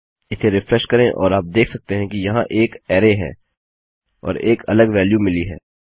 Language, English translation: Hindi, Refresh this and you can see weve got an array here and we have a different value